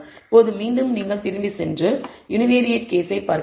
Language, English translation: Tamil, Now, again you can go back and look at the univariate case